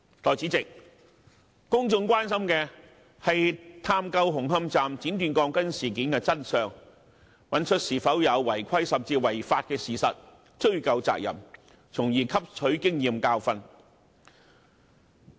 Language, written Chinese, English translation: Cantonese, 代理主席，公眾關心的是探究紅磡站剪短鋼筋事件的真相，找出有否違規甚至違法的事實，追究責任，從而汲取經驗教訓。, Deputy President it is the concern of the public to probe into the truth of the cutting of steel bars at Hung Hom Station and find out if there are any irregularities or even unlawful acts with a view to affixing responsibilities and learning a lesson from the incident